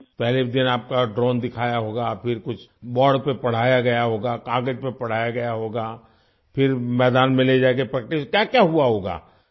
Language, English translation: Urdu, You must have been shown a drone on the first day… then something must have been taught to you on the board; taught on paper, then taken to the field for practice… what all must have happened